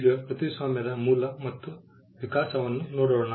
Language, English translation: Kannada, Now, let us look at the Origin and Evolution of Copyright